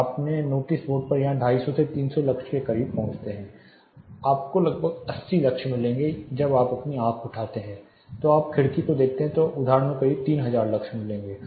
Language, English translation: Hindi, So, you get close to 250 300 lux here on your notice board you will get somewhere around 80 lux when you just lift your eyes you look at the window you will be getting close to 3000 lux at instance